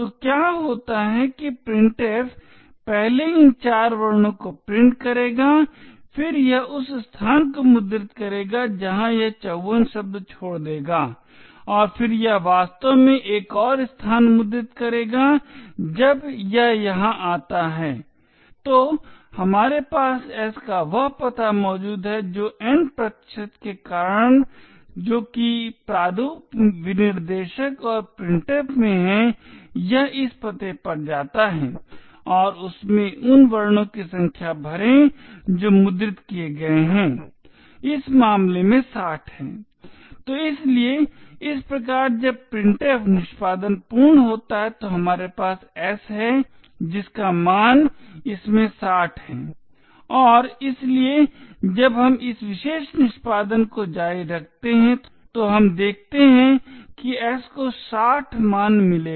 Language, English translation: Hindi, So what happens is that printf would first print these four characters then it would print the space it would leave 54 words and then it would actually print another space now when it comes over here we have that the address of s is present, so because of the percentage n that is in the format specifier and printf it go to this address and fill in it the contents of the number of characters that has been printed, in which case 60, so thus when printf completes execution we have s that has the value of 60 in it and therefore when we continue this particular execution we see that the s would get a value of 60